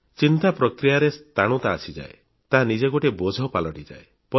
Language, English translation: Odia, The thought process comes to a standstill and that in itself becomes a burden